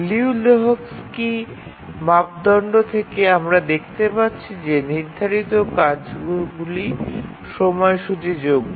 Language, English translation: Bengali, So from the Liu Lehusky's criterion we can see that the task set is schedulable